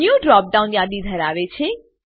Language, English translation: Gujarati, New button has a drop down list